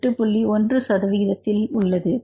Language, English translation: Tamil, 1 percent are within the limit